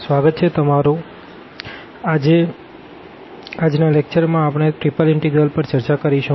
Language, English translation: Gujarati, So, welcome back and we will continue now this Triple Integral